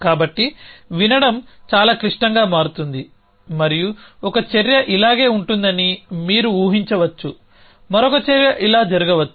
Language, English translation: Telugu, So listening becomes much more complicated and you can imagine that 1 action may be like this another action may happen like this